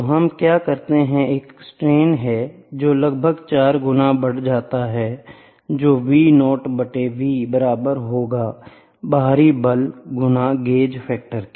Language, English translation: Hindi, So, what we do a strain which is approximately 4 times amplification which is V naught by V externally force into gauge factor 1 by gauge factor, ok